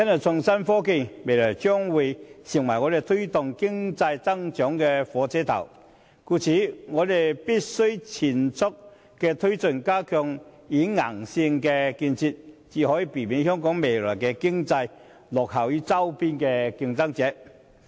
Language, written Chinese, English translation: Cantonese, 創新科技未來將成為推動經濟增長的火車頭，故此我們必須全速推進相關發展，加強軟件和硬件的建設，才可避免香港未來的經濟發展落後於周邊的競爭者。, Innovation and technology will become the new engine powering economic growth in the future . For this reason we must press ahead with such development at full steam and enhance the provision of both hardware and software so as to prevent Hong Kongs economic development from lagging behind our competitors in the adjacent regions in the future